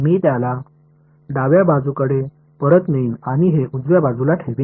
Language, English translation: Marathi, I will move this guy back to the left hand side and keep this on the right hand side right